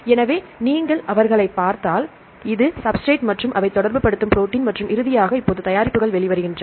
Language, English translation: Tamil, So, if you see them here this is the substrate and the protein like they interact and then finally, have the products now products are coming out